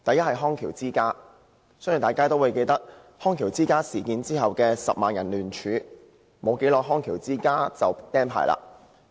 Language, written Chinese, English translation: Cantonese, 我相信大家均記得康橋之家事件發生後，有10萬人聯署，康橋之家不久後就被吊銷牌照。, I believe Members can recall the petition signed by 100 000 people after the incident and the subsequent revocation of the Companys licence